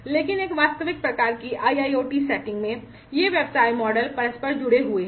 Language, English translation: Hindi, But, in a real kind of IIoT setting, these business models are interlinked